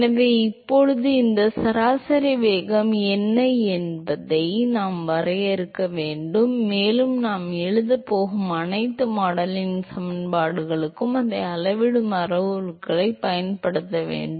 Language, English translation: Tamil, So, now, we need to define what is this average velocity and we have to use that as a scaling parameter for all the modeling equations that we going to write